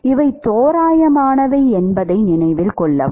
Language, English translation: Tamil, Note that these are approximations